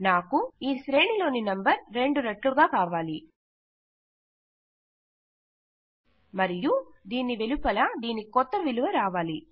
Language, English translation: Telugu, So I need the number in the array here times 2 is and then outside of this is going to be the new value